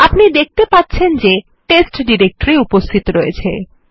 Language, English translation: Bengali, As you can see the test directory exists